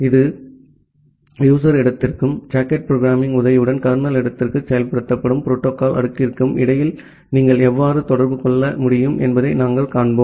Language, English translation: Tamil, And we will see that how you can make a interaction between this user space and the protocol stack which is implemented inside the kernel space with the help of the socket programming